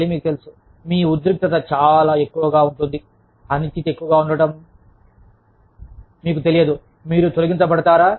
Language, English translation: Telugu, Again, you know, with your tension being very high, the uncertainty being high, you do not know, whether, you are going to be laid off, en masse